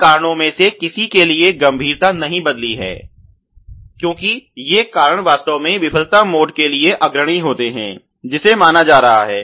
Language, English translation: Hindi, Severity does not change for any of these causes because these causes are actually leading ok to the failure mode which is being considered ok